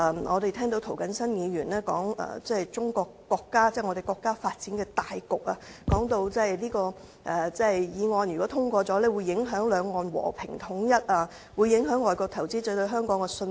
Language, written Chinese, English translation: Cantonese, 我們又聽到涂謹申議員提到我們國家的發展大局，說如果《條例草案》獲通過，會影響兩岸和平統一，影響外國投資者對香港的信心。, Mr James TO also talked about the overall development of our country saying that the passage of the Bill would affect the peaceful reunification between the two places across the Taiwan Strait and affect the confidence of foreign investors in Hong Kong